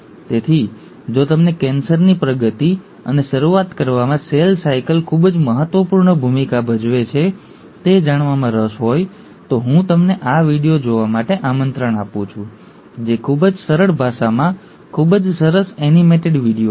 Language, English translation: Gujarati, So if you are interested to know exactly how cell cycle plays a very vital role in progression and initiation of cancer, I invite you to see this video, a very nice animated video in a very simple language